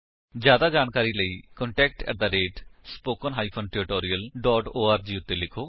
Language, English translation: Punjabi, For more details, please write to contact@spoken tutorial.org